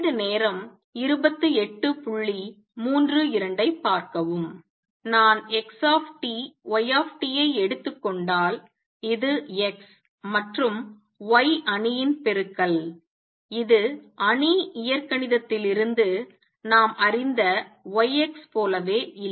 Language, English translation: Tamil, If I take xt yt, which is the matrices multiplication of X matrix and Y matrix it is not the same as Y X as we know from matrix algebra